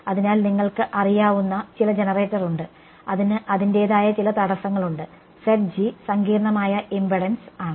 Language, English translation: Malayalam, So, you have some you know generator it has some impedance of its own Z g is the complex impedance